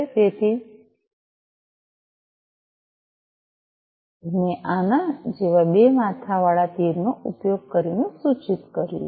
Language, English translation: Gujarati, So, that is why I have denoted using a double headed arrow like this